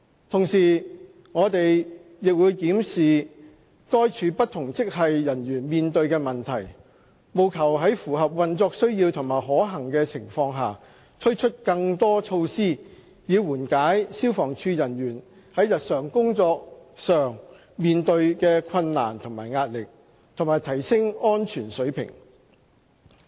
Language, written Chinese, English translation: Cantonese, 同時，我們亦會檢視該處不同職系人員面對的問題，務求在符合運作需要和可行的情況下，推出更多措施以緩解消防處人員在日常工作上面對的困難和壓力，以及提升安全水平。, At the same time we will examine the problems faced by various grades of the Department . The aim is to introduce measures that are operationally necessary and practicable for alleviating the difficulties and pressures encountered by FSD personnel in their day - to - day work and for enhancing safety